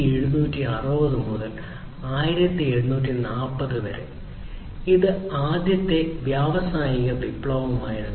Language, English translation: Malayalam, Back in 1760s to 1840s, it was the first industrial revolution